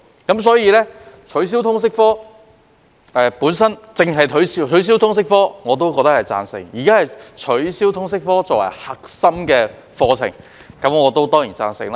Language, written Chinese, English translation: Cantonese, 如果取消通識科，我必定贊同；對於現在只是取消通識科作為核心科目，我當然也贊成。, If the proposal was to abolish the LS subject I would certainly support it; but surely I will also support the current proposal to merely remove the LS subject as a core subject